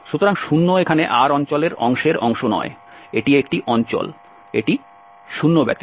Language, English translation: Bengali, So, 0 here is not the part of not the part of the part of the region R, this is the region, but this except 0